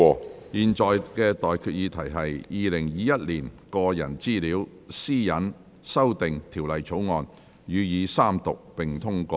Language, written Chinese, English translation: Cantonese, 我現在向各位提出的待議議題是：《2021年個人資料條例草案》予以三讀並通過。, I now propose the question to you and that is That the Personal Data Privacy Amendment Bill 2021 be read the Third time and do pass